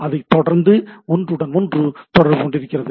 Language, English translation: Tamil, And it goes on communicating between each other